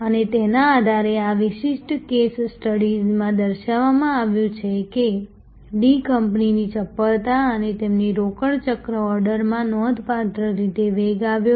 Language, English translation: Gujarati, And based on this, it has been shown in this particular case study that the D company’s nimbleness, their order to cash cycle has accelerated quite significantly